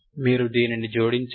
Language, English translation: Telugu, You add this one